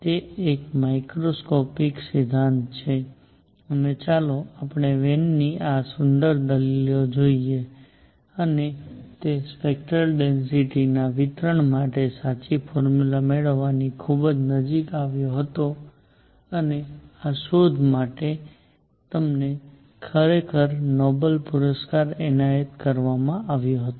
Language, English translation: Gujarati, It is a macroscopic theory and let us look at these beautiful arguments by Wien and he came very very close to obtaining the true formula for the distribution of spectral density and he was actually awarded Nobel Prize for this discovery